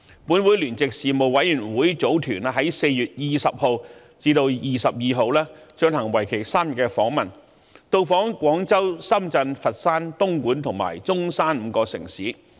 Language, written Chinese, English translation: Cantonese, 本會聯席事務委員會組團於4月20日至22日進行為期3天的訪問，到訪廣州、深圳、佛山、東莞及中山5個城市。, A joint - Panel delegation of the Legislative Council made a three - day visit from 20 to 22 April to Guangzhou Shenzhen Foshan Dongguan and Zhongshan